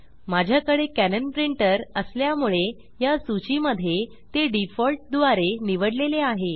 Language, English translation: Marathi, Since, I have a Canon Printer, here in this list, it is selected by default